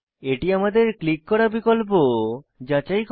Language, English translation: Bengali, Here, this checks the option that we click on